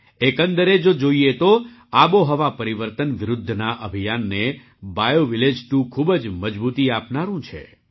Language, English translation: Gujarati, Overall, BioVillage 2 is going to lend a lot of strength to the campaign against climate change